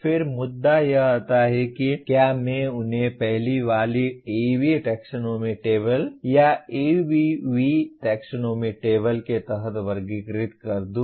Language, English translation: Hindi, Then the issue come, should I classify them under the earlier AB taxonomy table or ABV taxonomy table